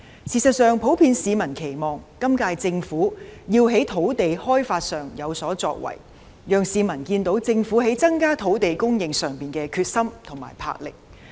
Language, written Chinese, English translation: Cantonese, 事實上，市民普遍期望今屆政府要在土地開發上有所作為，讓市民看到政府在增加土地供應上的決心和魄力。, In fact the public generally expect the current - term Government to do more in land development so that they can see the Governments determination and boldness in increasing land supply